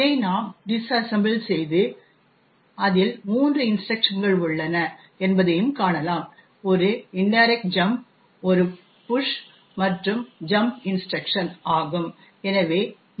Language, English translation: Tamil, We can disassemble this and see that it comprises of three instructions an indirect jump, a push and a jump instruction